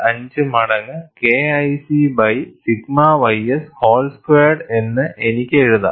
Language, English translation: Malayalam, 5 times K1C divided by sigma ys whole squared